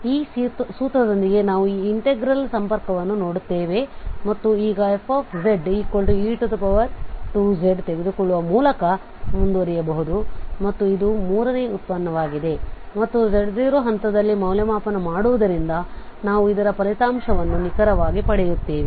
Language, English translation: Kannada, So with this formula we see connection to this integral and now we can proceed with this taking this fz as e power 2z and this third derivative and we evaluate at this z naught point, so we will get exactly the result of this